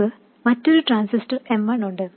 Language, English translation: Malayalam, We have another transistor M1 and M2 are matched